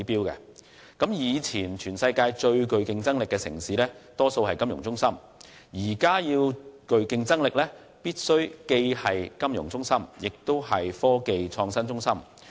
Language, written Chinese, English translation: Cantonese, 以往全球最具競爭力的城市大多數為金融中心，而現時最具競爭力的城市則必須既是金融中心，也是科技創新中心。, While the majority of the most competitive cities in the world were financial centres in the past they must be both financial centres and technology innovation centres nowadays